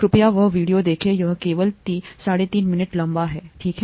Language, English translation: Hindi, Please see that video, it’s only about 3and a half minutes long, okay